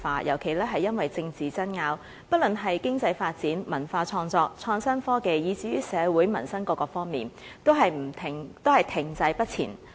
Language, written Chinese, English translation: Cantonese, 尤其是因為政治爭拗，香港在經濟發展、文化創作、創新科技，以至於社會民生各方面，均停滯不前。, Specifically in the areas of economic development culture creation innovation and technology as well as social and livelihood development Hong Kong has been stalled by political disputes